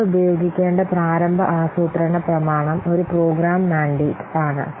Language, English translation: Malayalam, So the initial planning document that we have to use each program mandate